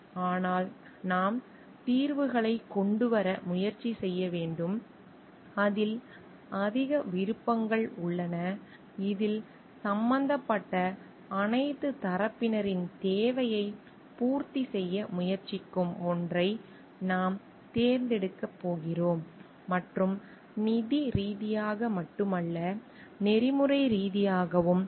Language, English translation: Tamil, But we should try to come up with solutions which with more options; where we are going to select that one which is trying to meet the need of all the parties involved and not only those who are financially but like ethically well